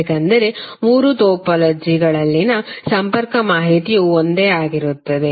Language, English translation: Kannada, Why because the connectivity information in all the three topologies are same